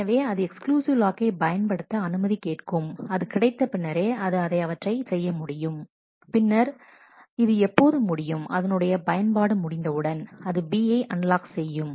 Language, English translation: Tamil, So, it requests for an exclusive lock and only on getting that it can do this and, when this is over the purpose is over it unlocks B